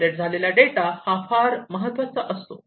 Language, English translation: Marathi, The data that is generated is very important